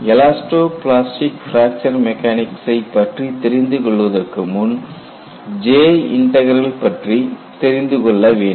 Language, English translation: Tamil, So, before we get into elasto plastic fracture mechanics, we will try to understand what is J Integral